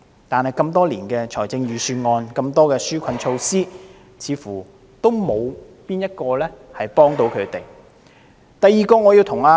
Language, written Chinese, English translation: Cantonese, 然而，多年來的預算案，即使有很多紓困措施，似乎都沒有哪一項可以幫助他們。, Nonetheless despite the many relief measures in the budgets for all these years it seems that not one of these measures can help them